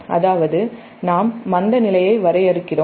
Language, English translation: Tamil, that is, we define the inertia constant